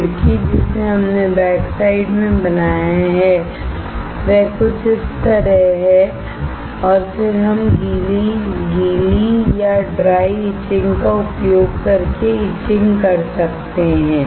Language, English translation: Hindi, The window that we created in the backside is something like this and then we can we can etch using wet or dry etching